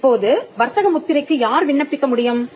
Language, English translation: Tamil, Now, who can apply for a trademark